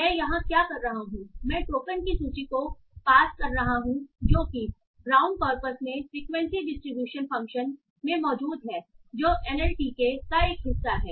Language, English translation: Hindi, So what I am doing here is I am passing the list of the tokens that are present in the brown corpus to the frequency distribution function that is a part of NLTK